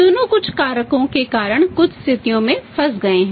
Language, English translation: Hindi, Both of them are caught in certain conditions because of certain factors